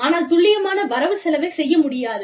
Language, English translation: Tamil, But, the accurate budgeting, cannot be done